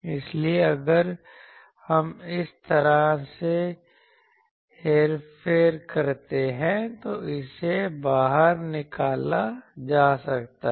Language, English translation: Hindi, So, if we manipulate like that, it becomes you can be taken out